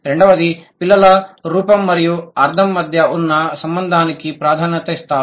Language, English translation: Telugu, Second, the children show a preference for one to one relationship between form and meaning